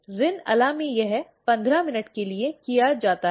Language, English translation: Hindi, In Rin Ala it is done for 15 minutes